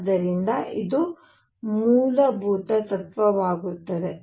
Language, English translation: Kannada, So, this becomes the fundamental principle